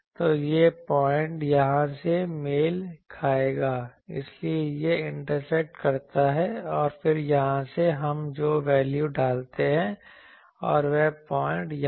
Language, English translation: Hindi, So, this point will correspond here, so this intersect and then from here, the value we put, and that point is here that point is here